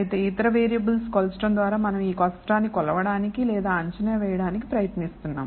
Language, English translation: Telugu, However, by measuring other variables, we are trying to kind of infer or estimate this difficult to measure property